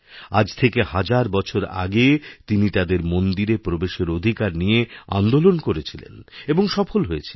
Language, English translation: Bengali, A thousand years ago, he launched an agitation allowing their entry into temples and succeeded in facilitating the same